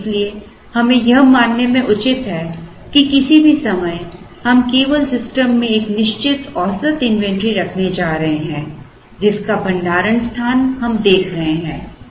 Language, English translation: Hindi, And therefore, we are justified in assuming that at any given point in time, we are only going to have a certain average inventory in the system, whose storage space is what we are looking at